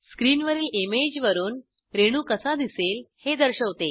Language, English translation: Marathi, The image on the screen shows how the molecule looks from the top